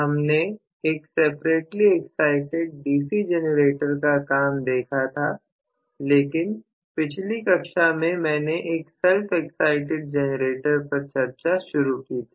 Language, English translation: Hindi, So, we had seen the working of a separately excited DC generator but last class I had started on self excited generator